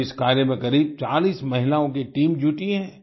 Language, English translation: Hindi, Today a team of about forty women is involved in this work